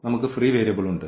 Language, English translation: Malayalam, So, we have the free variable